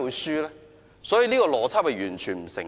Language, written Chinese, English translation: Cantonese, 所以，這邏輯完全不成立。, So this logic is absolutely untenable